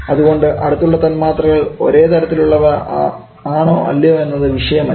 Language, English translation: Malayalam, Whether the neighbouring molecules of the same kind of different kind